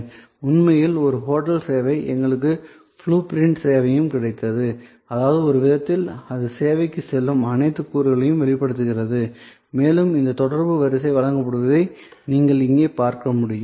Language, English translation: Tamil, This is actually a hotel service, we also got it service blue print in; that means, in a way it exhibits all the elements that go in to the service and it also as you can see here, that this line of interaction is provided